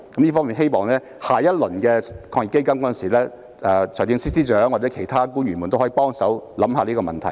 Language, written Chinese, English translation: Cantonese, 對於下一輪的防疫抗疫基金，我希望財政司司長或其他官員也可以思考這個問題。, For the second round of AEF I hope the Financial Secretary or other public officers can give some thought to the issue